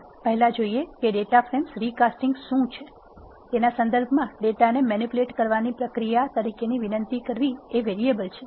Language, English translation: Gujarati, Let us first see what is recasting of data frames means, requesting as a process of manipulating data free in terms of it is variables